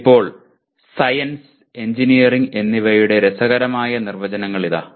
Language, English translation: Malayalam, Now, here is an interesting definitions of Science and Engineering